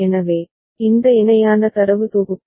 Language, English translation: Tamil, So, this parallel set of data